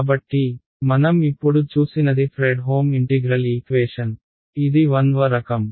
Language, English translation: Telugu, So, what we just saw was a Fredholm integral equation, this is of the 1st kind